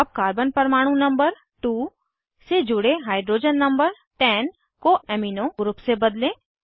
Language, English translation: Hindi, Now, lets replace a hydrogen number 10 attached to the carbon atom number 4 with an amino group